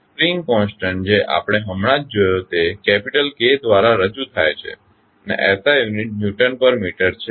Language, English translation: Gujarati, Spring constant just we saw is represented by capital K and the SI unit is Newton per meter